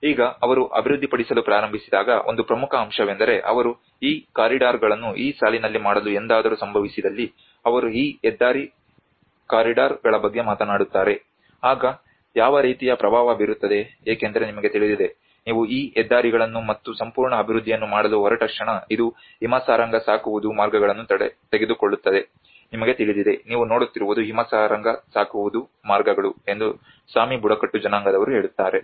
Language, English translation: Kannada, Now when they started developing you know one of the important aspects is they talked about these highway corridors if you ever happen to make these corridors onto this line then what kind of impact because the Sami tribes they says that you know the moment you are making these highways and the whole development it is going to take the reindeer herding routes you know these are the what you can see is reindeer herding routes